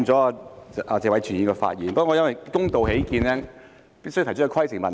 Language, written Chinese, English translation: Cantonese, 打斷了謝偉銓議員的發言，但為了公道起見，所以我提出規程問題。, I have interrupted Mr Tony TSE yet to be fair I have to raise a point of order